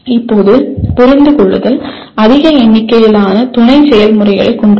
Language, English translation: Tamil, Now understanding has fairly large number of sub processes involved in understanding